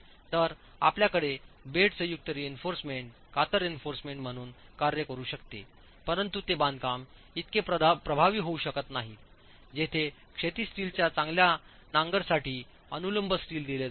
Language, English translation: Marathi, So, you can have bed joint reinforcement acting as shear reinforcement but they cannot be as effective as a construction where vertical steel is provided to account for good anchorage of the horizontal steel itself